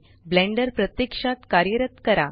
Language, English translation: Marathi, Blender should automatically start running